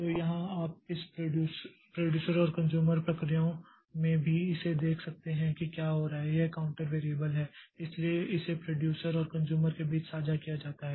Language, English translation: Hindi, So, here also you see the in this producer and consumer processes what is happening is that this counter variable so that is shared between the producer and the consumer